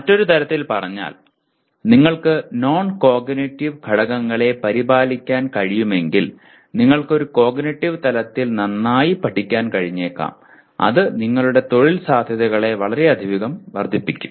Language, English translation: Malayalam, To restate what happens if you are able to take care for non cognitive factors we may be able to learn better at cognitive level as well as it will greatly enhance our employment potential